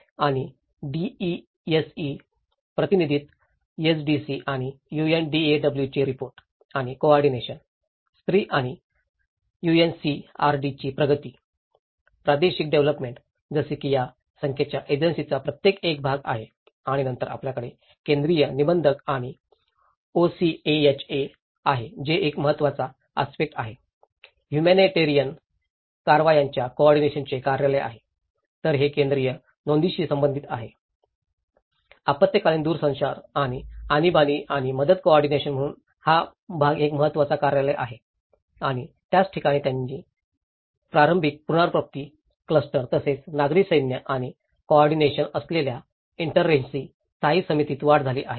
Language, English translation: Marathi, And DESE; support and coordination to echoed SDC and UNDAW; advancement of woman and UNCRD; Regional Development so, like that these number of agencies part of it and then you have the Central Register and OCHA, which is an important aspect, the office of the coordination of the humanitarian affairs so, it is related with the Central Register, emergency telecommunications and emergency and relief coordinator so, this part is an important office and that is where the its sprungs into Interagency Standing Committee which is an early recovery cluster as well as a civil military and coordination